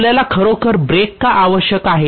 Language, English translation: Marathi, Why do you really require brake